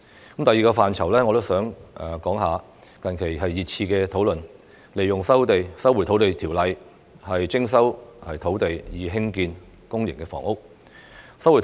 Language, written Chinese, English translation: Cantonese, 關於第二個範疇，近日大家熱熾討論引用《收回土地條例》徵收土地以興建公營房屋。, On the second aspect there have recently been heated discussions on invoking the Lands Resumption Ordinance to resume land for public housing construction